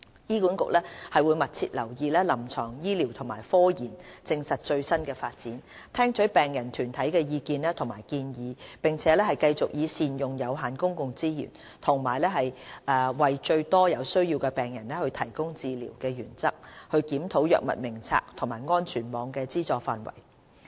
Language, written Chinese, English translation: Cantonese, 醫管局會密切留意臨床醫療和科研實證的最新發展，聽取病人團體的意見和建議，並繼續以善用有限公共資源及為最多有需要的病人提供治療的原則，檢討藥物名冊和安全網的資助範圍。, HA will keep abreast of the latest development of clinical treatment and scientific evidence heed the views and suggestions of patients groups and continue to review the Drug Formulary and the coverage of the safety net under the principle of rational use of limited public resources while maximizing the health benefits for patients in need